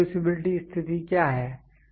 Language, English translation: Hindi, What are reproducibility conditions